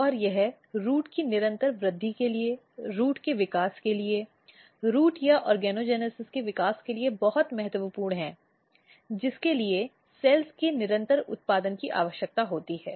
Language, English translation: Hindi, And this is very important for continuous growth of the root, for development of the root, for growth of the root or for lot of organogenesis, always a continuous production of cells are required